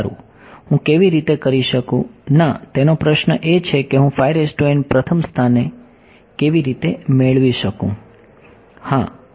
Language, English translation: Gujarati, Yeah well how do I, no his question is how do I get psi in the first place